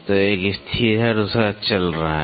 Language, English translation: Hindi, So, one is fixed and the other one is moving